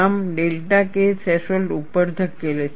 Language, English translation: Gujarati, Here, the delta K threshold is 0